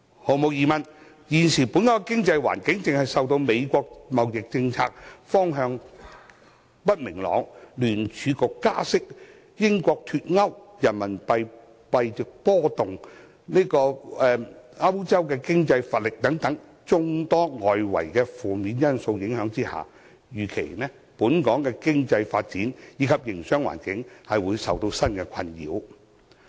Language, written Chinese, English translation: Cantonese, 毫無疑問，現時本港的經濟環境正受到美國的貿易政策方向不明朗、聯邦儲備局加息、英國脫歐、人民幣幣值波動，以及歐洲經濟乏力等眾多外圍負面因素影響，預期本港的經濟發展及營商環境會受到新的困擾。, The present economic environment of Hong Kong is undoubtedly clouded by a load of external negative factors such as the uncertain trade policy of the United States the rate hikes by the Federal Reserve the Brexit fluctuations in the Renminbi exchange rate and the feeble European economy . It is expected that our economic development and business environment will be plagued by these new factors